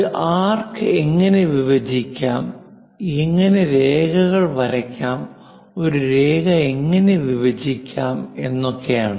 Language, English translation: Malayalam, How to bisect an arc and how to draw perpendicular lines and how to divide a line